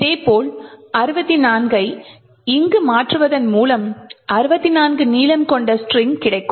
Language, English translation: Tamil, Similarly, by changing this over here to say 64 I will get a string of length 64